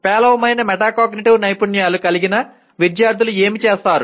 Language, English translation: Telugu, And what do the students with poor metacognitive skills do